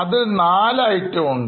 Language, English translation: Malayalam, Again you have got 4 items